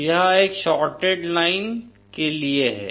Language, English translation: Hindi, So this is for a shorted line